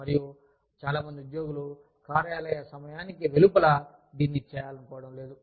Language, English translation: Telugu, And, a lot of employees, do not want to do this, outside of office hours